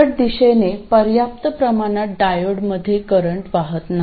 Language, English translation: Marathi, That is in reverse bias there is no current in the diode